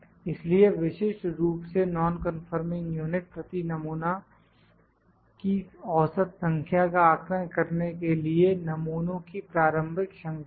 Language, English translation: Hindi, So, typically an initial series of samples is used to estimate the average number of non conforming units per sample